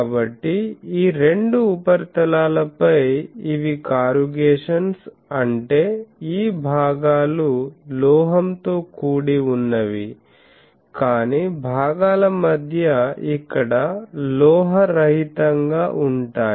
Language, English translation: Telugu, So, on those two surfaces on this surface these are the corrugations; that means this portions are metallic, but between portions are non metallic similarly here